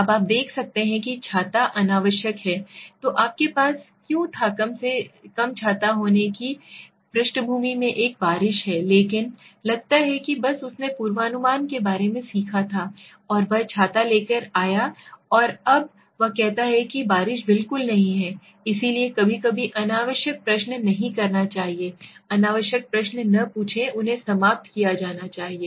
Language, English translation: Hindi, Now this is you see the guy says, at this point the umbrella was unnecessary so why did you have an umbrella but at least this is at least having there is a rain at the background but suppose just imagine he had learned about the forecasting and he has come with umbrella and he now says there is no rain at all, so sometimes unnecessary question should not, is not sometimes every time do not ask unnecessary questions they should be eliminated, okay